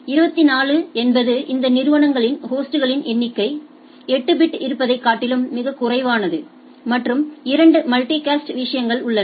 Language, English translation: Tamil, And 24 is where number of host in these organizations are much less that 8 bit is there and there are two multicast things